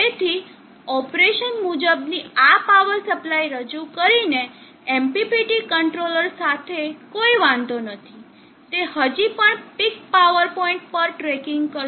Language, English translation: Gujarati, So therefore, operation why there is no issue with MPPT controller by introducing this power supply, it will still be tracking to the peak power point